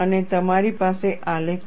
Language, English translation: Gujarati, And you have a graph